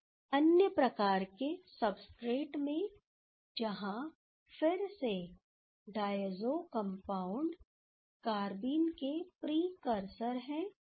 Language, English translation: Hindi, In another type of substrates where, again the diazo compounds are the precursor of the carbenes